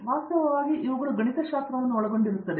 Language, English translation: Kannada, In fact, these comprise the whole of mathematics